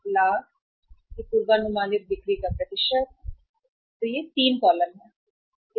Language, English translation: Hindi, This is the amount, Rs, lakh and this is the percentage of forecasted sales, percentage of forecasted sales